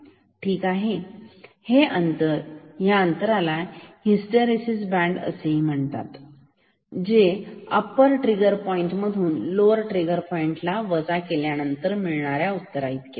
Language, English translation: Marathi, So, this gap this is called hysteresis band which is same as upper trigger point minus lower trigger point